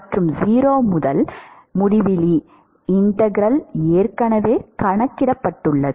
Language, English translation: Tamil, And 0 to infinity integral as has already been calculated